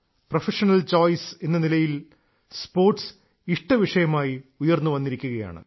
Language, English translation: Malayalam, Sports is coming up as a preferred choice in professional choices